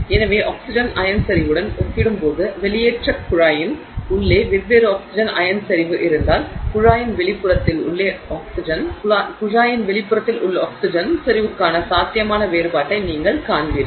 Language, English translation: Tamil, So, if you have different oxygen ion concentration inside the exhaust pipe compared to the oxygen ion concentration, I mean oxygen concentration on the outside of the pipe, then you will see a potential difference